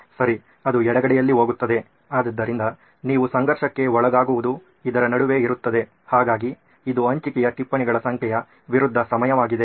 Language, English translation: Kannada, Okay, so that goes on the left hand side, so that’s what you are conflict is between, so it is a time versus the number of notes shared problem